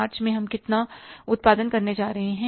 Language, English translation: Hindi, In the month of March, we will sell this much